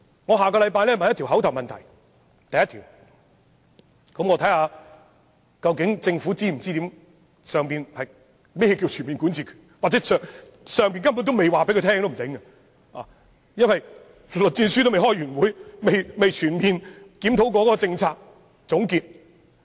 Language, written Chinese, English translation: Cantonese, 我下星期會就此提出一項口頭質詢，且看政府是否理解中央所說的"全面管治權"，或許中央仍未告訴政府這是甚麼，因為栗戰書尚未開完會，未曾全面檢討政策和作出總結。, Next week I will ask an oral question on this matter to see if the Government understands what is meant by this full governance power as described by the Central Authorities . Perhaps the Central Authorities have not yet told the Government what it is because LI Zhanshu has not finished the meeting to thoroughly examine the policy and make a conclusion